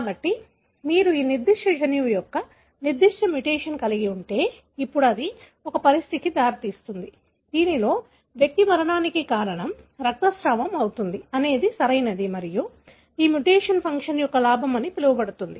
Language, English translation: Telugu, So, if you have a particular mutation of this particular gene, now that would result in a condition, wherein the individual will bleed to death, right and this mutation results in what is called as a gain of function